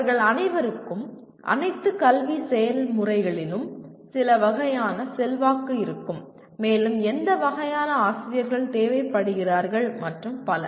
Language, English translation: Tamil, All of them will have some influence in all the academic processes and what kind of faculty are required and so on